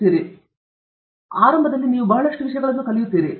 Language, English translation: Kannada, also; initially, you learn a lot of things